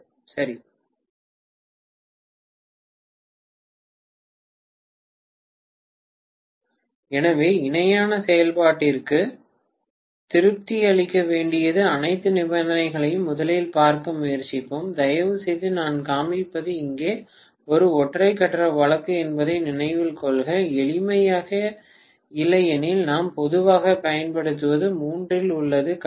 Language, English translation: Tamil, Right So, let us try to look at first of all what are all the conditions to be satisfied for parallel operation and please note that what I am showing is a single phase case here, just for simplicity otherwise what we use normally is in three phase